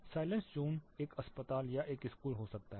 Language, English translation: Hindi, Silence zone could be an hospital or a school